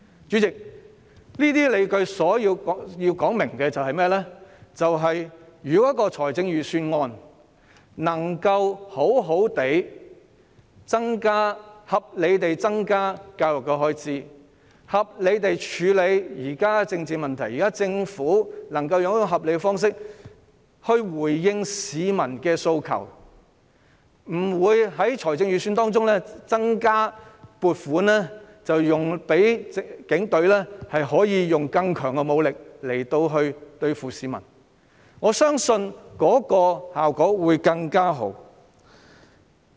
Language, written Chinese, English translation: Cantonese, 主席，我提出這些理據是要說明，如果預算案能好好地、合理地增加教育開支，並合理地處理現時的政治問題，如果政府能以合理的方式回應市民的訴求，不會在預算案中增加撥款，讓警隊可以使用更強的武力對付市民，我相信效果會更好。, Chairman I advance these justifications so as to explain that if the Budget can properly and reasonably increase education expenditure as well as justifiably deal with the present political problems and if the Government can respond to public aspirations reasonably and will not allocate more funds in the Budget to allow the Police to use stronger force against the people I believe better results will be achieved